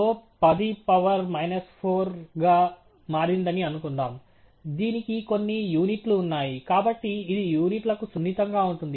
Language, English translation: Telugu, Suppose slope turned out to be 10 power minus 4; it has certain units; so, it is going to be sensitive to the units